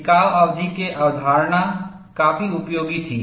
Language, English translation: Hindi, The concept of endurance limit was quite useful